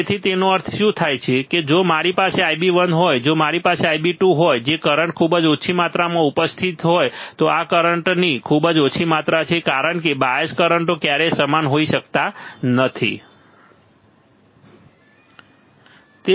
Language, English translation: Gujarati, So, what does that mean what does that mean that if I have I b 1, if I have I b 2 which is small amount of current present right small amount of current present this is because the bias currents can never be same, right